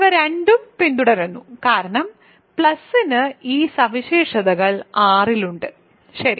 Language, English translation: Malayalam, So, these both follow because plus has these properties on R, ok